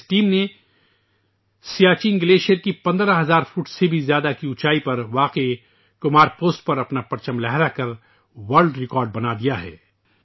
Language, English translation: Urdu, This team created a world record by hoisting its flag on the Kumar Post situated at an altitude of more than 15 thousand feet at the Siachen glacier